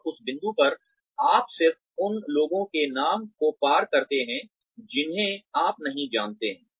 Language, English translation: Hindi, And, at that point, you just cross out the names of people, who you do not know